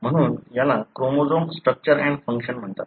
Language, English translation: Marathi, So this is called as chromosome structure and function